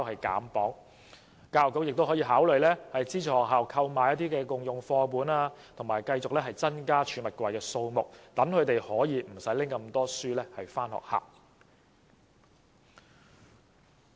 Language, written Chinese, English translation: Cantonese, 教育局也可考慮資助學校購買"共用課本"，以及增加儲物櫃的數目，那麼學童便可以減少攜帶書本的數目。, The Education Bureau can also consider subsidizing schools to purchase share books and provide additional lockers so that school children may bring fewer books to school